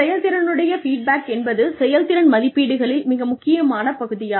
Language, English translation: Tamil, Feedback on performance is an essential part of performance appraisals